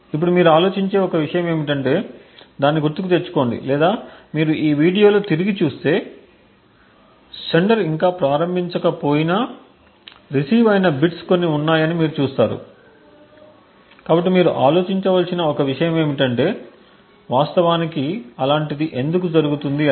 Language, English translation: Telugu, Now one thing for you think about is that recollect that or if you just go back on the video you will see that there are some bits that gets received even though the sender has not yet started, so one thing for you to think about is why such a thing has actually happened